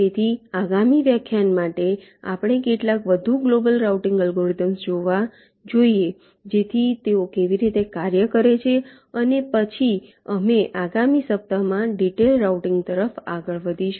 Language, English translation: Gujarati, ok, fine, so for next lecture we should looking at some more global routing algorithms, so how they work, and then we will shall be moving towards detailed routing in the next week